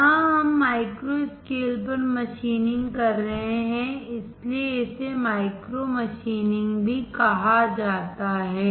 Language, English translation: Hindi, Here, we are machining at micro scale so it is also called micro machining